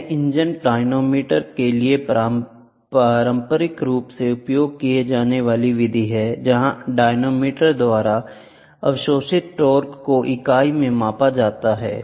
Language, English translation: Hindi, This is the method traditionally used for engine dynamometer where the torque absorbed by the dynamometer is measured at the chasing of the unit